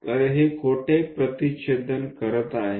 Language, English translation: Marathi, So, where it is intersecting